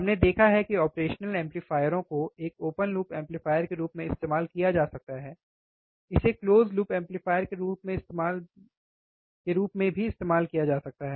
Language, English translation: Hindi, We have seen operational amplifier can be used as an op open loop amplifier, it can be used as an closed loop amplifier